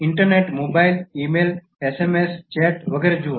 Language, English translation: Gujarati, Look at internet, mobile, e mail, SMS, chat, etc